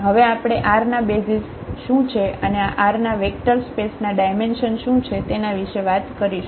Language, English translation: Gujarati, Now, we will talk about what are the basis of R n and what is the dimension of this vector space R n